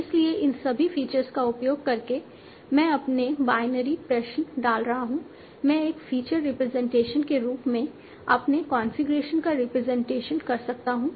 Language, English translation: Hindi, So by using all these features or putting them as binary equations, I can represent my configuration as a in terms of a feature representation